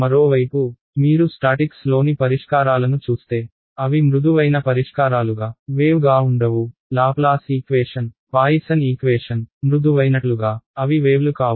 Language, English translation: Telugu, On the other hand, if you look at the solutions in statics they are not wave like they are smooth solutions know; Laplace equation, Poisson’s equation they are not wave like they are smooth